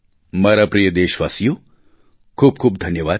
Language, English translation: Gujarati, My dear countrymen, thank you very much